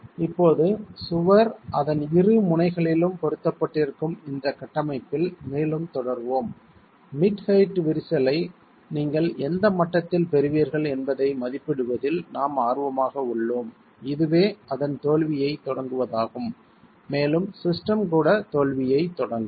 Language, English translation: Tamil, Further continue in this configuration where now the wall is pinned at both its ends and we are now interested to estimate at what level would you get the mid height crack which is what will initiate its failure the system failure itself